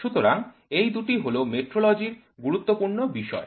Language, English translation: Bengali, So, these two are the important functions of metrology